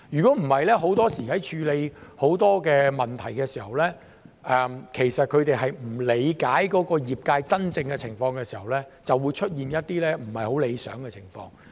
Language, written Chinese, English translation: Cantonese, 否則，很多時在處理很多問題的時候，如果他們並不理解業界真正的情況，就會出現一些不太理想的情況。, Then you can really hear the voice of the industry otherwise undesirable outcomes may often arise in the handling of many cases if they do not understand the real situation of the industry